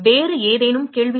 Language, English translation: Tamil, Any other questions